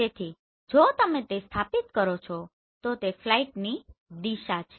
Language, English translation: Gujarati, So if you plot this then this is the direction of flight